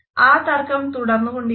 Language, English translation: Malayalam, So, this debate has continued